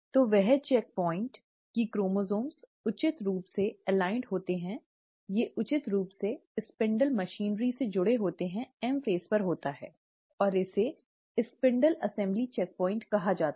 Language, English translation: Hindi, So, that checkpoint that the chromosomes are appropriately aligned, they are appropriately connected to the spindle machinery, happens at the M phase and it is called as the spindle assembly checkpoint